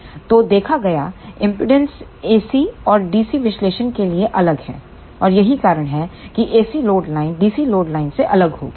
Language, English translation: Hindi, So, the impedance seen is different for the AC and DC analysis, and that is why the AC load line will be different than the DC load line